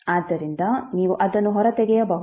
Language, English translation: Kannada, So you can take it out